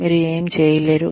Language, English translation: Telugu, What you cannot do